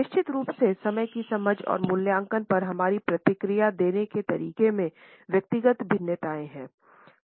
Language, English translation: Hindi, There are of course, individual variations in the way we respond to our understanding of time and evaluate